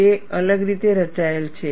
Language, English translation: Gujarati, It is plotted differently